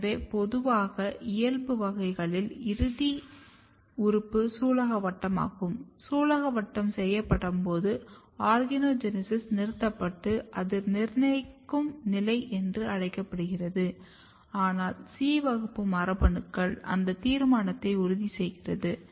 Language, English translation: Tamil, So, normally what happens in the wild type, when your final organ which is carpel, when carpel is made the organogenesis is stopped and that is called the state of determinacy, but C is ensuring that determinacy if you do not have C class genes